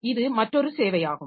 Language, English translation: Tamil, So, that is also another service